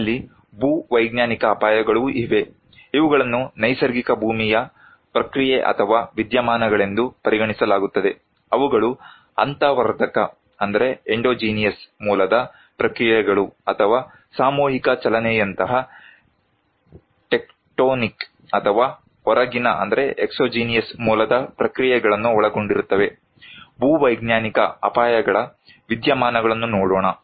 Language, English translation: Kannada, We have also geological hazards, these are considered to be natural earth process or phenomena that include processes of endogenous origin or tectonic or exogenous origin such as mass movement, let us look at the phenomena of geological hazards